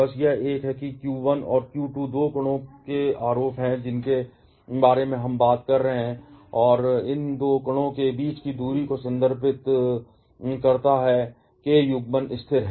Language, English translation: Hindi, Just this one, where q1 and q2 are the charges of the two particles that we are talking about and r refers to the distance between these two particles and k is the coulombs constant